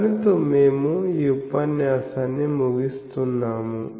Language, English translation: Telugu, So, with that we will conclude this lecture